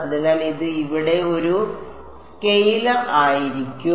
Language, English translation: Malayalam, So, it is going to be a scalar over here